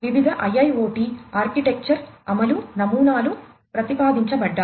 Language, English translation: Telugu, Different IIoT architecture implementation patterns are have been proposed